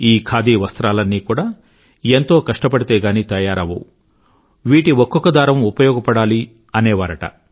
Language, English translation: Telugu, He used to say that all these Khadi clothes have been woven after putting in a hard labour, every thread of these clothes must be utilized